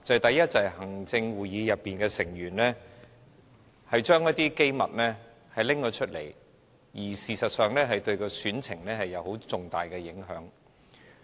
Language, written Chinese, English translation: Cantonese, 第一，就是行政會議成員把一些機密外泄，這事實上對選情有重大影響。, First the divulgence of confidential information by the Executive Council Members will have immense impact on the Chief Executive Election